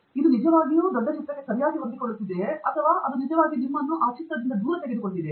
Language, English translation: Kannada, Is it really fitting into the big picture nicely or is it really taking you away